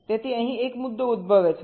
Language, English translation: Gujarati, so there is one issue that arises here